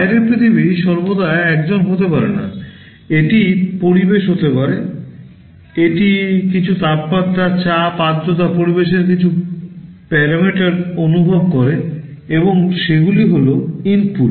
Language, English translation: Bengali, The outside world may not always be a human being, it may be environment, it senses some temperature, pressure, humidity some parameters of the environment, and those will be the inputs